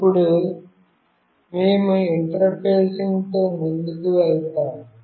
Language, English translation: Telugu, Now, we will go ahead with the interfacing